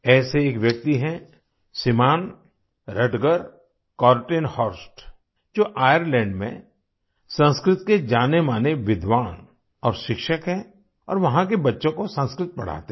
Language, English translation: Hindi, Rutger Kortenhorst, a wellknown Sanskrit scholar and teacher in Ireland who teaches Sanskrit to the children there